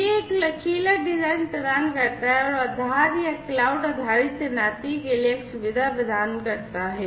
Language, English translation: Hindi, It provides a flexible design and offers a facility, for both premise and cloud based deployment